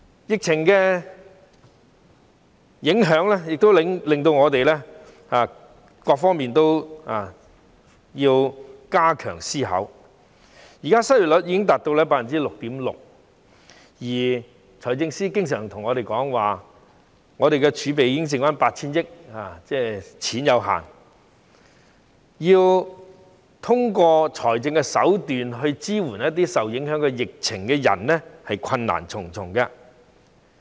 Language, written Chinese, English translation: Cantonese, 疫情的影響亦都令我們要就各方面加強思考，現時失業率已高達 6.6%， 而財政司司長經常說，財政儲備只餘下 8,000 億元，即儲備有限，要通過財政手段以支援一些受疫情影響的人，是困難重重的。, Under the impact of the pandemic we have to give more consideration to various aspects . At present the unemployment rate has already climbed to 6.6 % and the Financial Secretary always says that there is only 800 billion left in our fiscal reserves meaning that our reserves are limited . If we are to support those people affected by the pandemic through fiscal means it will be full of difficulties